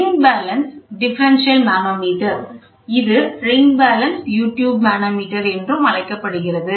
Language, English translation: Tamil, The ring balance differential manometer, which is also known as ring balance is a variation of U tube manometer